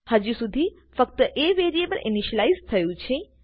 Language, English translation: Gujarati, So far, only the variable a has been initialized